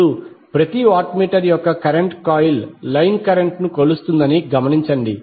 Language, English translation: Telugu, Now notice that the current coil of each watt meter measures the line current